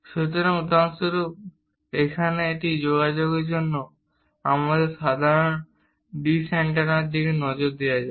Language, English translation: Bengali, So, for example, here let us look at our typical dish antenna for this communication